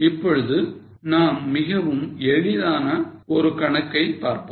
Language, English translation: Tamil, Now let us look at a very simple illustration